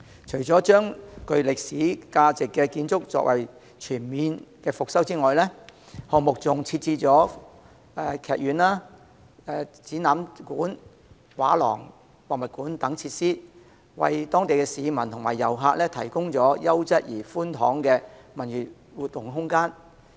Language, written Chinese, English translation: Cantonese, 除了把具歷史價值的建築全面復修外，項目還設置劇院、展覽館、畫廊、博物館等設施，為當地市民及遊客提供優質而寬敞的文娛活動空間。, Apart from refurbishing all buildings of historic values the project has also added a theatre exhibition hall art gallery museum etc . to give local residents and tourists quality and spacious space for cultural and recreational activities